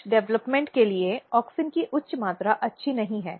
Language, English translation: Hindi, So, auxin; high amount of auxin is not good for some of the development